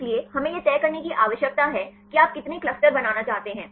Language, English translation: Hindi, So, we need to decide how many clusters you want to form